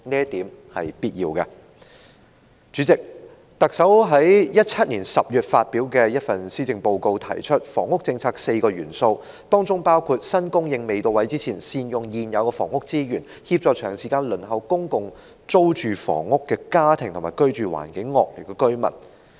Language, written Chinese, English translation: Cantonese, 代理主席，特首在2018年10月發表的施政報告中提出房屋政策的4個元素，包括"在新供應未到位前，善用現有房屋資源，協助長時間輪候公共租住房屋的家庭和居住環境惡劣的居民"。, Deputy President in her Policy Address delivered in October 2018 the Chief Executive stated that the housing policy comprises four elements one of which is that when new supply is not yet available the existing housing resources will be optimized to help families that have long been on the Waiting List for Public Rental Housing PRH and residents in poor living conditions